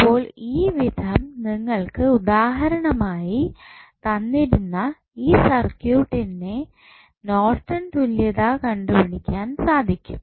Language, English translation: Malayalam, So, in this way you can find out the Norton's equivalent of the circuit which was given in the example